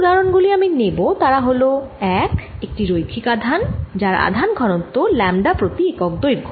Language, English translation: Bengali, the examples i am going to take are going to be one: a linear charge of charge density, lambda per unit length